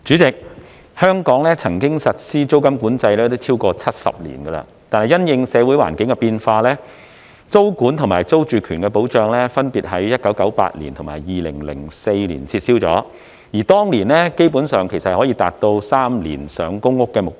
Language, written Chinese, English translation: Cantonese, 主席，香港曾經實施租金管制超過70年，但因應社會環境的變化，租管及租住權保障分別在1998年及2004年撤銷，而當年基本上可達到3年上公屋的目標。, President rent control had been implemented in Hong Kong for more than 70 years but in response to changes in the social environment rent control and security of tenure were removed in 1998 and 2004 respectively . In those years the target of maintaining the waiting time for public rental housing PRH at three years could largely be met